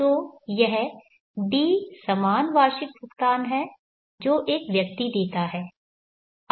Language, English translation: Hindi, So this D are the equal annual payments that one makes